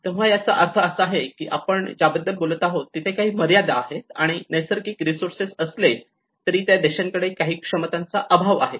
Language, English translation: Marathi, So which means that is where it is talking about where there is certain limitations and even having natural resources, how the country is still lacking with some abilities you know how the capacities